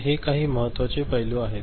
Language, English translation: Marathi, So, these are certain important aspect